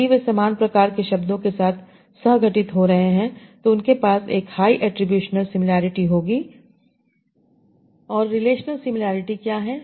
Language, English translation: Hindi, If they are co corring with similar sort of words, they will have a high attribution similarity